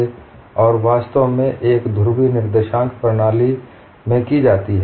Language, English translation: Hindi, That approach is actually done in a polar coordinate system